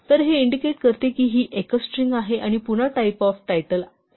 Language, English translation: Marathi, So, this indicates that this is a single string and again the type of title is str